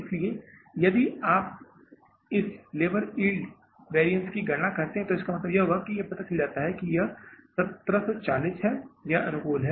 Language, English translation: Hindi, So if calculate this labor yield variance, this will be, we have found out here is that is 1740, this is favorable